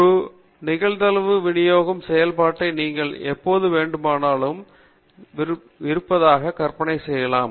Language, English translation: Tamil, Now, whenever you have a probability distribution function you can imagine that there is a distribution of the probabilities